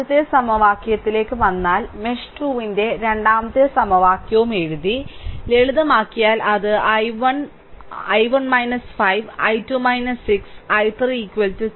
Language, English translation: Malayalam, So, if you come to that that first equation, I wrote second equation for mesh 2 also, we wrote right and if you simplify, it will be 11, i 1 minus 5, i 2 minus 6, i 3 is equal to 12